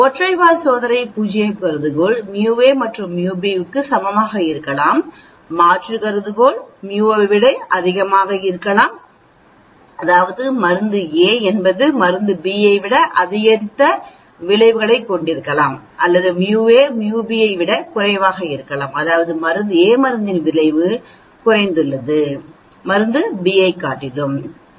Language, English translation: Tamil, For single tailed test null hypothesis could be mu a is equal to mu b, alternate hypothesis could be mu a is greater than mu b, that means drug a has an increased effect than drug b or mu a could be less than mu b, that mean drug a has decreased effect than drug b that is a lower tailed and upper tailed